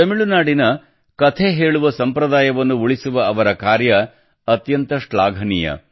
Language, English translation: Kannada, He has done a commendable job of preserving the story telling tradition of Tamil Nadu